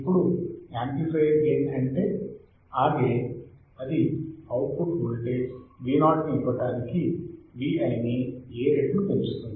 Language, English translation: Telugu, Now, the amplifier gain that is A gain that is it amplifies the Vi by A times to give output voltage Vo